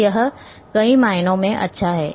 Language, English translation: Hindi, So, it is in many ways it is good